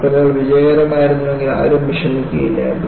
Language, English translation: Malayalam, If the ships were successful, no one would have worried